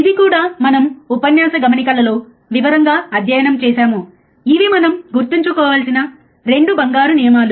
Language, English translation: Telugu, This is also we have studied in detail, right in lecture notes that, these are the 2 golden rules that we have to remember